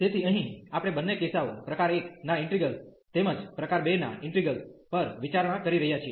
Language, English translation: Gujarati, So, here we are considering both the cases the integral of type 1 as well as integral of type 2